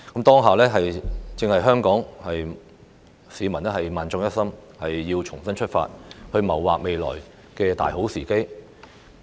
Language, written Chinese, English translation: Cantonese, 此刻正是香港市民萬眾一心，重新出發，謀劃未來的大好時機。, It is high time that Hong Kong people unite together to make a fresh start and plan for the future